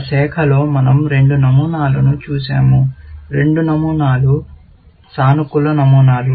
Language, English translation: Telugu, In that branch, we have looked at two patterns; both of them are positive patterns